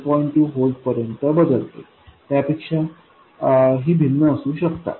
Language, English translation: Marathi, 2 volts it can vary by even more than that